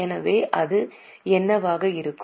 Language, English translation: Tamil, So what it can be